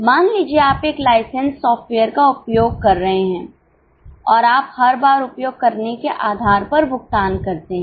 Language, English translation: Hindi, Suppose you are using a license software and pay on per use basis